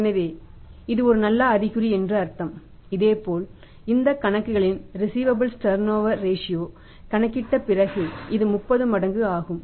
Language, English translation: Tamil, So, it means it is a good sign, similarly after calculating this accounts receivables turnover ratio which is 30 times in this case